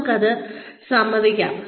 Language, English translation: Malayalam, Let us admit it